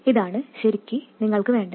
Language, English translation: Malayalam, So, it is exactly what you want